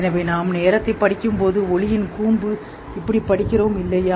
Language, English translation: Tamil, Something like, so when we study time, we study like this is the cone of light, isn't it